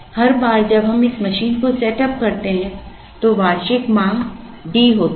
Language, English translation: Hindi, Every time we setup this machine the annual demand is D